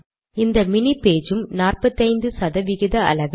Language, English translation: Tamil, And this mini page also is 45 percent size